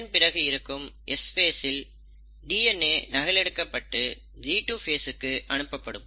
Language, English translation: Tamil, Then the S phase happens, the DNA gets duplicated, passes on, goes to the G2 phase, right